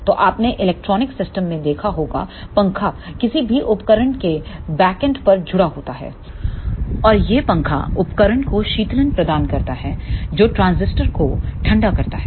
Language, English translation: Hindi, So, you might have seen in electronic systems that the fan is associated at the backend of any instrument and this fan provides the cooling to the instrument and that cools the transistor